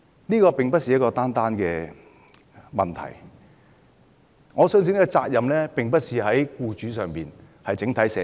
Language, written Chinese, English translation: Cantonese, 這並非單一的問題。我相信責任並不在僱主身上，而在整體社會。, So we are not facing just one single issue and I believe it is not a responsibility to be borne by employers but the entire society instead